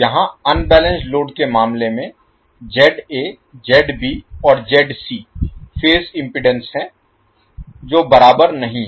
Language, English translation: Hindi, Here in case of unbalanced load ZA, ZB, ZC are the phase impedances which are not equal